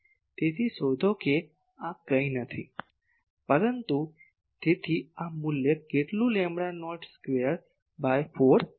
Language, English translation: Gujarati, So, find out this is nothing, but so, this value is how much lambda not square by 4 pi